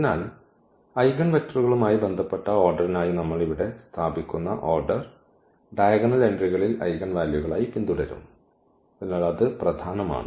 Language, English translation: Malayalam, So, the order we place here for the eigenvectors corresponding order will be followed in the diagonal entries as the eigenvalues, so that is important